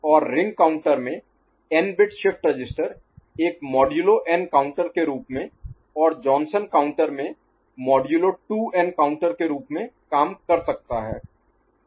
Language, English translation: Hindi, And n bit shift register in ring counter configuration can act as a modulo n counter and in Johnson counter configuration as modulo 2n counter